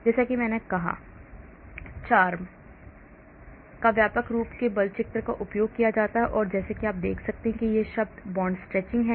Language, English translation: Hindi, As I said CHARMM is widely used force field and as you can see this term is the bond stretching